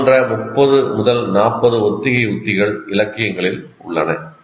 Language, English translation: Tamil, People have given 30, 40 such rehearsal strategies in the literature